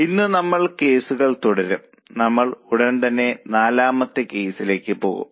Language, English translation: Malayalam, Today we will continue with the cases and we'll go for the fourth case right away